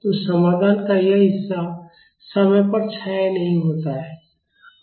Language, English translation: Hindi, So, this part of the solution this does not decay in time